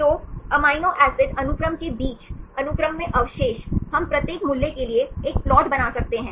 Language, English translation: Hindi, So, depending among the amino acid sequence, the residues in the sequence, we can make a plot for each value